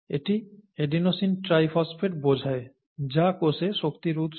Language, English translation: Bengali, This, this stands for adenosine triphosphate, this happens to be the energy currency of the cell